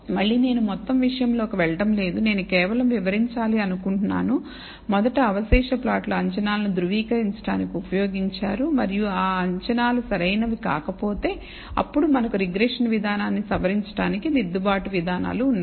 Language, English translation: Telugu, Again, I am not going to go into the whole thing I just want to illustrate, that first the residual plots are used in order to verify the assumptions and if the assumptions are not valid then we have correction mechanisms to modify our regression procedure